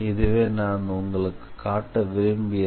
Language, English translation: Tamil, So, that is something I wanted to show you